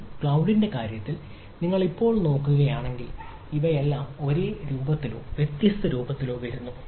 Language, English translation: Malayalam, now, if you look at in our in case of a cloud, all these things also come in different in same or different forms